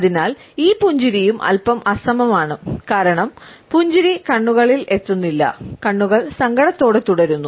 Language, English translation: Malayalam, So, this smile is also slightly asymmetric one, because the smile does not reach the eyes, the eyes remain sad